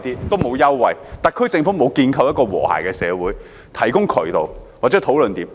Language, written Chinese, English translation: Cantonese, 特區政府沒有建構一個和諧的社會，提供渠道或討論點。, The SAR Government has not built a harmonious society where channels or opportunities for discussion are available